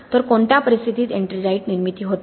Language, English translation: Marathi, So in what conditions is ettringite formation not happening